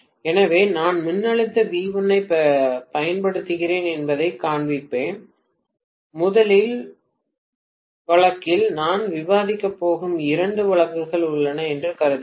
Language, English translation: Tamil, Right So, let me show that I am applying the voltage V1, and I am assuming that first case there are two cases I am going to discuss